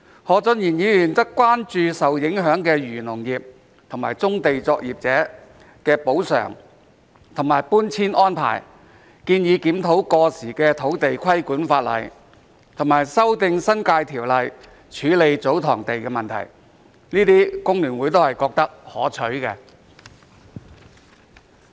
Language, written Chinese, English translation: Cantonese, 何俊賢議員則關注受影響的漁農業和棕地作業者的補償和搬遷安排，建議檢討過時的土地規管法例，以及修訂《新界條例》處理祖堂地的問題，這些工聯會都認為是可取的。, Mr Steven HO has expressed concerned about the compensation and relocation arrangements for the affected operators in the agricultural and fisheries industries as well as brownfield operators . He has proposed reviewing outdated legislation on land use regulation and amending the stipulations in the New Territories Ordinance on handling the issue of TsoTong lands . All these proposals are considered desirable by FTU as well